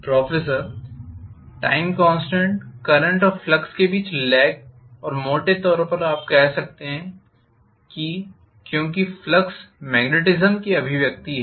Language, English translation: Hindi, The time constant and the lag between the current and the flux, roughly you can say that because the flux is manifestation of magnetism